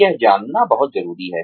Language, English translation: Hindi, Very important to know this